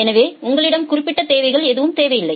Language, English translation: Tamil, So, you do not have any specific requirements